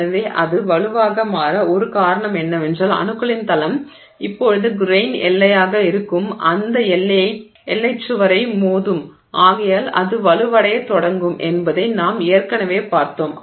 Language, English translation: Tamil, So, we already saw that one reason why it might become stronger is that the plane of atoms will now hit that boundary wall which is the grain boundary and therefore it will start I know becoming stronger